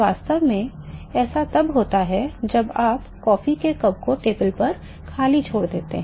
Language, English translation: Hindi, In fact, this is what happens when you leave the coffee cup idle on a table